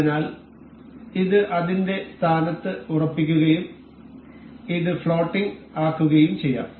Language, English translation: Malayalam, So, this will be fixed in its position and this can be made floating